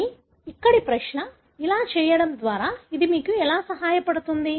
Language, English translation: Telugu, The question is by doing this, how does it help you